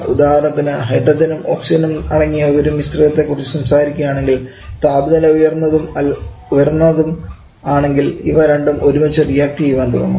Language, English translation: Malayalam, Like if you are talking about a mixture of hydrogen and oxygen if the temperature level is high that we start to react together